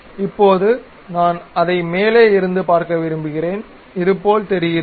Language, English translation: Tamil, Now, I would like to see it from top, this is the way it really looks like